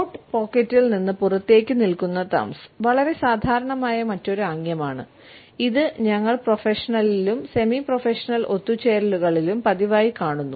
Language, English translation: Malayalam, Thumbs protruding from coat pocket is another very common gesture, which we routinely come across in professional as well as in semi professional gatherings